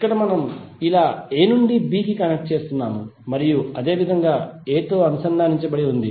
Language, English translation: Telugu, Here we are connecting a to b like this and similarly a is connected a is connected to b like this